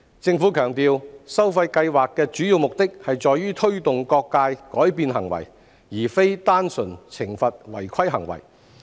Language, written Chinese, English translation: Cantonese, 政府強調，收費計劃的主要目的在於推動各界改變行為，而非單純懲罰違規行為。, The Government has stressed that the main objective of the charging scheme is to promote behavioural changes of various sectors rather than to purely punish contraventions